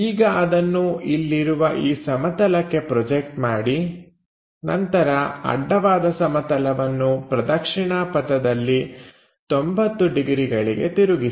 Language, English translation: Kannada, Now, project a onto that plane here, then rotate horizontal plane in the clockwise direction by 90 degrees